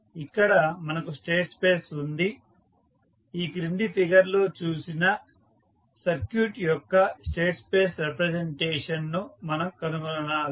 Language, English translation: Telugu, Here we have state space, we need to find the state space representations of the circuit which is shown in the figure below